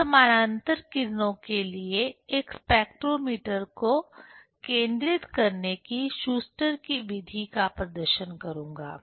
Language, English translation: Hindi, I will demonstrate the Schuster s method for focusing a spectrometer for parallel rays